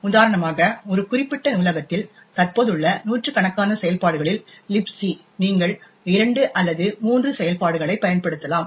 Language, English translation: Tamil, In a specific library for example Libc out of the hundreds of functions that are present, you may at most use 2 or 3 functions